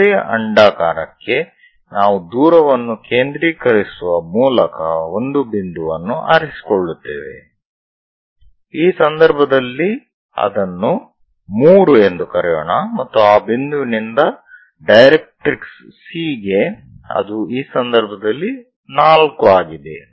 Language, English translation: Kannada, For any ellipse you pick a point from focus what is the distance, let us call that in this case 3 and from point to directrix C that is 4 in this case